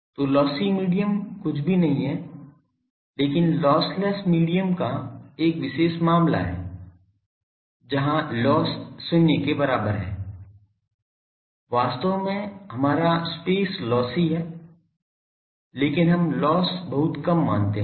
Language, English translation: Hindi, So, lossy medium is nothing but a special case of lossless medium, where loss is equal to 0 actually our pre space actually it is lossy, but we consider it that loss is very small